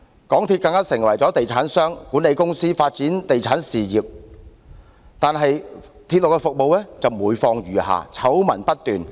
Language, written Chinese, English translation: Cantonese, 港鐵公司更成為地產商和管理公司，發展地產事業，但是，其鐵路服務則每況愈下，醜聞不斷。, MTRCL has even turned itself into a real estate developer and management company by developing a real estate business . However its railway services are going from bad to worse and scandals erupt all the time